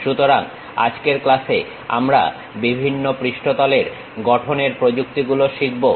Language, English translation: Bengali, So, in today's class we will learn about various surface construction techniques